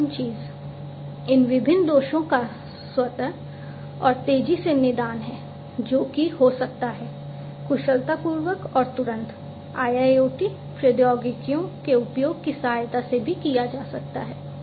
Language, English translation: Hindi, The last thing is the automatic and fast diagnosis of these different faults, that can happen, can also be performed efficiently and promptly, with the help of the use of IIoT technologies